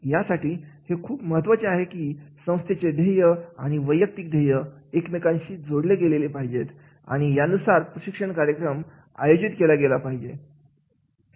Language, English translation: Marathi, So, it is very much important that is the organizational goals and individual goals are to be linked connected and then the training program is to be designed